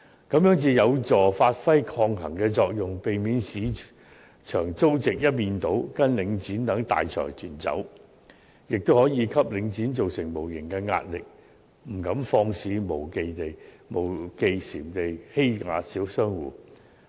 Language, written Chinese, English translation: Cantonese, 這樣才有助發揮抗衡的作用，避免市場租值一面倒跟隨領展等大財團走，亦可以給領展造成無形壓力，不敢肆無忌憚地欺壓小商戶。, Only in this way will a checking effect be achieved and the market rental value prevented from merely following major consortiums such as Link REIT in a lopsided manner . It can also impose invisible pressure on Link REIT which will not dare bully the small shop operators blatantly